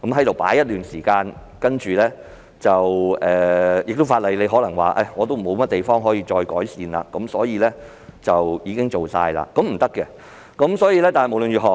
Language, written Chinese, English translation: Cantonese, 過了一段時間，政府可能會說法例已無可以再改善之處，可做的都已經做了——這是不行的。, After a certain period of time the Government may say that no further improvement can be made to the legislation and nothing more can be done